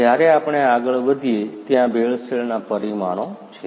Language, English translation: Gujarati, When we move further, there are adulteration parameters